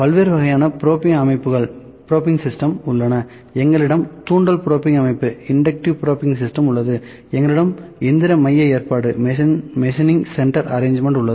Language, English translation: Tamil, So, different types of probing systems are there we have inductive probing system like we have inductive probing system we have machining center arrangement